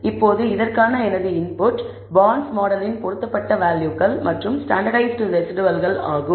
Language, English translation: Tamil, Now, my input for this is fitted values of the bonds model and the standardized residuals the reason